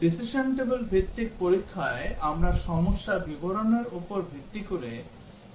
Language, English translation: Bengali, In decision table based testing we develop a decision table based on the problem description